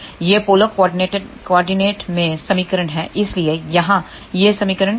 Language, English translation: Hindi, This is the equation in the polar coordinates so, what is this equation here